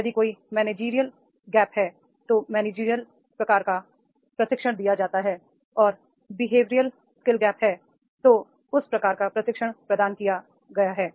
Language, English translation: Hindi, If there is a managerial gap, managerial type of training is given and behavioral skill gaps, then behavioral skill gaps and then type of training has been provided